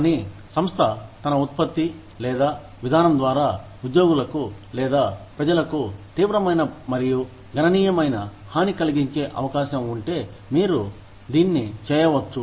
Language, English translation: Telugu, But, you can do it, if the firm, through its product or policy, is likely to do serious and considerable harm, to employees or to the public